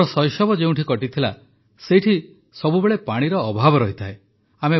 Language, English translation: Odia, The place where I spent my childhood, there was always shortage of water